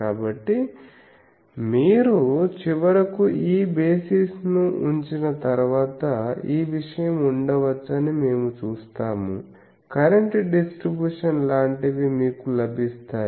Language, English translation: Telugu, So, once you put this basis finally, we will see that this thing can be you will gets the current distribution something like these that something like this we will get